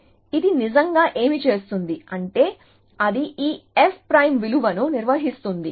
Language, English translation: Telugu, So, what really it does is that it maintains this f prime value